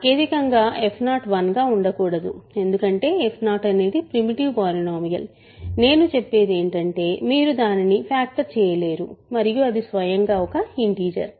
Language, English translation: Telugu, Technically f 0 cannot be 1 because f 0 is a primitive polynomial what we really mean is that you cannot factor it into and it is an integer by itself